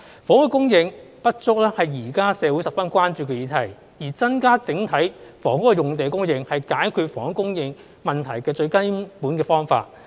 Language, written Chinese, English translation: Cantonese, 房屋的供應不足是現在社會十分關注的議題，而增加整體房屋用地的供應是解決房屋供應問題的最根本的方法。, Housing supply deficiency is a subject of great concern in society today . Increasing the overall supply of housing sites is the fundamental solution to the housing supply problem